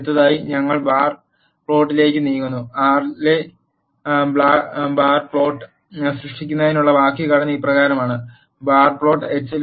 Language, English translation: Malayalam, Next we move on to the bar plot, the syntax to generate bar plot in R is as follows; bar plot of h